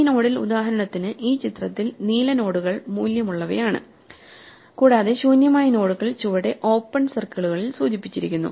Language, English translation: Malayalam, In this node, for example, in this picture the blue nodes are those which have values and the empty nodes are indicated with open circles at the bottom